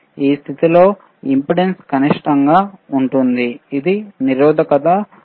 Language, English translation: Telugu, iImpedance in this condition is minimum, which is resistance R